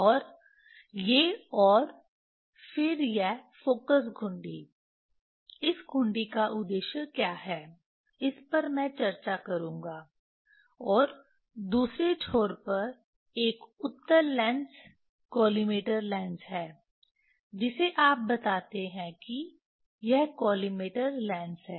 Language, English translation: Hindi, And these and then this focus knob, what is the purpose of this knob that I will discuss, and other end here there is a convex lens collimator lens you tell this is the collimator lens